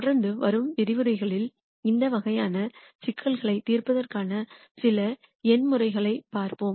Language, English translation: Tamil, What we will do in the lectures that follow, we will look at some numerical methods for solving these types of problems